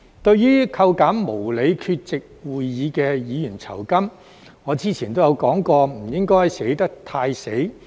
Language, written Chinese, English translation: Cantonese, 對於扣減無理缺席會議的議員酬金，我之前都說過不應該寫得太"死"。, Regarding the deduction of a Members remuneration for being absent from a meeting without reason I have said before that the provisions should not be too rigid